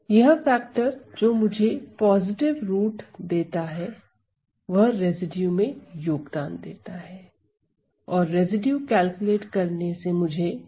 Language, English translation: Hindi, So, the factor that gives me a positive root will be the one that contributes to the residue and I get calculating the residue I get that f of x